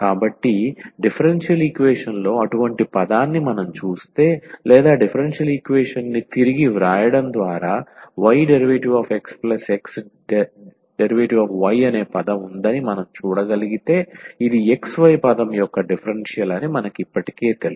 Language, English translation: Telugu, So, if we see some such a term in the differential equation or by rewriting the differential equation if we can see that there is a term y dx plus x dy then we know already that this is the differential of xy term